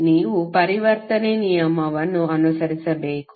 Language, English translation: Kannada, You have to just follow the conversion rule